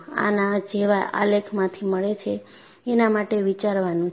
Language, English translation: Gujarati, That you get from a graph like this